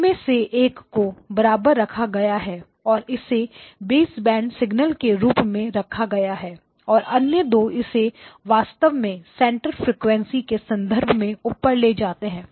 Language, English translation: Hindi, It took; one of them it retained it kept it as a baseband signal the other two it actually moved it up in terms of the center frequency